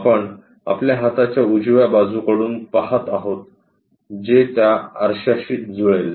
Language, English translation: Marathi, We are looking from right side of your hand which map down to that mirror